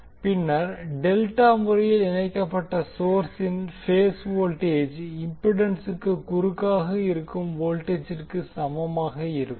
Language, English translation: Tamil, Than the phase voltage of the delta connected source will be equal to the voltage across the impedance